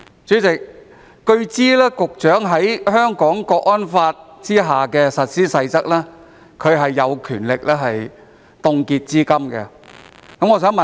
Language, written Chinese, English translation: Cantonese, 主席，據知根據《香港國安法》的《實施細則》，局長是有權凍結資金的。, President it is learnt that the Secretary has the power to freeze funds according to the Implementation Rules of the National Security Law